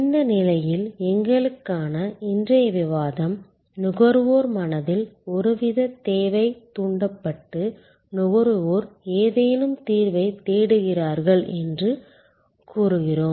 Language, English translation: Tamil, At this stage for us our discussion today, we say that there is some kind of need that has been triggered in the consumer's mind and the consumer is looking for some solution